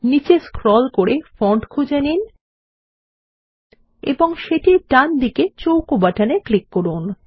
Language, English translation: Bengali, Let us scroll down to find Font and click on the square button on its right